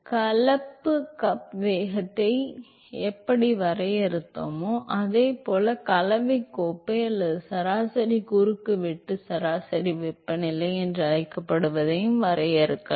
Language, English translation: Tamil, Just like how we defined mixing cup velocity, we can also define what is called the mixing cup or the average cross sectional average temperature